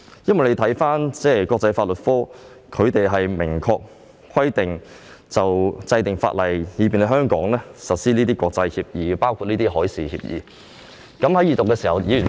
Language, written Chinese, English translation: Cantonese, 就國際法律科的職責，已有明確規定是要制定法例，以便香港實施國際協議，包括海事協議。, It has already been clearly specified that the International Law Division should be responsible for the enactment of legislation to implement international agreements in Hong Kong including agreements on maritime matters